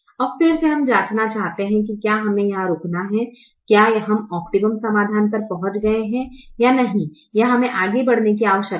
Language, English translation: Hindi, now again we want to check whether we have to stop here, whether the optimum solution is reached or whether we need to proceed further